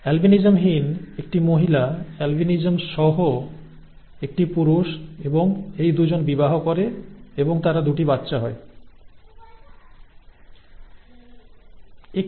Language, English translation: Bengali, A female without albinism, a male with albinism, a male with albinism and a male without albinism, and these 2 marry and they produce 2 children, a female without albinism and a female with albinism, okay